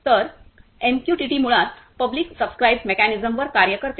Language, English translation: Marathi, So, MQTT basically acts on publish subscribe mechanism